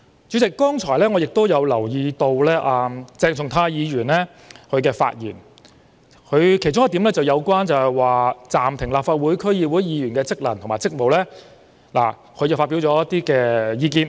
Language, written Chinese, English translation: Cantonese, 主席，我剛才留意到鄭松泰議員的發言的其中一點，提到有關暫停立法會議員或區議會議員的職能和職務。, President I noticed that in the earlier remarks made by Dr CHENG Chung - tai he mentioned one point about the suspension of functions and duties of a Legislative Council Member or DC member